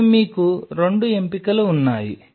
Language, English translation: Telugu, Now you are options are two